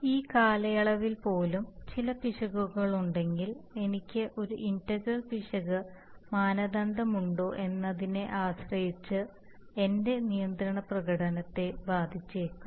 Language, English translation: Malayalam, Even if during this period I have some error and my control performance is, may be affected depending on whether I have an integral error criterion then it will be less affected